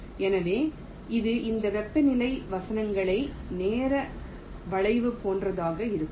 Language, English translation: Tamil, so it will be something like this: temperature verses time curve